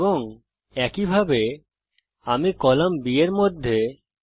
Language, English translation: Bengali, To do that select the column B here